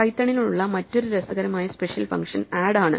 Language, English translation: Malayalam, Another interesting function that python has as a special function is add